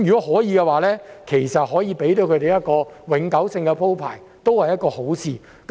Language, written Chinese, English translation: Cantonese, 可以的話，為他們提供永久性的安排，也是一件好事。, It would be good to provide them with a permanent arrangement if possible